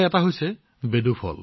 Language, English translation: Assamese, One of them is the fruit Bedu